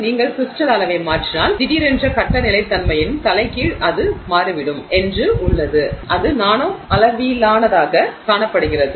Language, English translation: Tamil, If you change the crystal size it turns out that suddenly there is a reversal of phase stability that is seen at the nanoscale